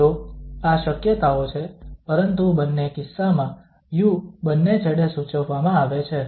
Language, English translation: Gujarati, So that is the possibilities but in either case the u is prescribed at both the end